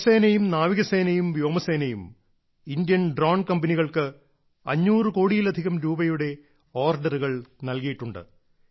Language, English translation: Malayalam, The Army, Navy and Air Force have also placed orders worth more than Rs 500 crores with the Indian drone companies